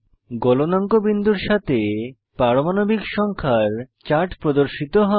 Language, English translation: Bengali, A chart of Melting point versus Atomic number is displayed